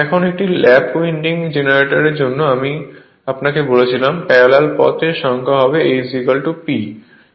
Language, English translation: Bengali, Now for a lap winding generator I told you number of parallel paths will be A is equal to P